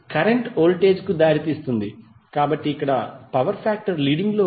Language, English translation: Telugu, Here power factor is leading because currently leads the voltage